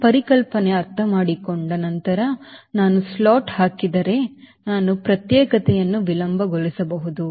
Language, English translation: Kannada, you, once this concept is understood that if i put a slot i can delay the separation so i can increase the deflections